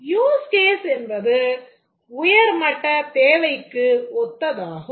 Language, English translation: Tamil, The use cases are something similar to a high level requirement